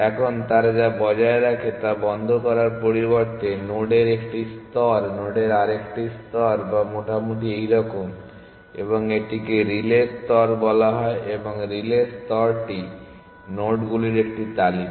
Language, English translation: Bengali, Now, instead of closed what they maintain is a layer of nodes another layer of nodes which is roughly like this and this is called the relay layer and the relay layer is a list of nodes